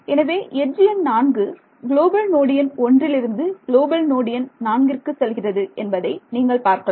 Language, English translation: Tamil, So, you see this edge number 4 is pointing from global node number 1 to global node number ‘4’